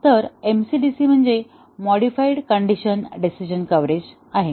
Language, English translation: Marathi, So MCDC stands for modified condition decision coverage